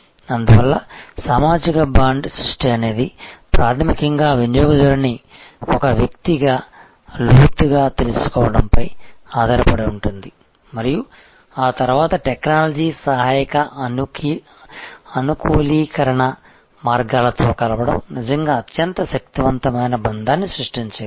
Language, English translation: Telugu, And so the social bond creation which basically is based on knowing the customer indepth as a individual and then combining that with technology assisted ways of customization can create really the most powerful bond